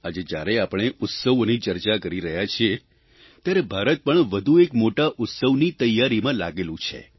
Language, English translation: Gujarati, Today, as we discuss festivities, preparations are under way for a mega festival in India